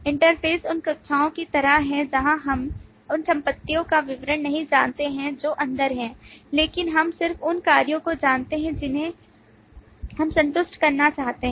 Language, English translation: Hindi, Interfaces are like classes, where we may not know the details of the properties that are inside, but we know just the operations that we want to satisfy